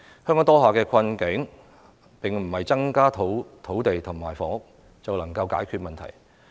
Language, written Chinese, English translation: Cantonese, 香港當下的困境，並不是增加土地或房屋便能夠解決的。, The current plight of Hong Kong cannot be solved by increasing land or housing supply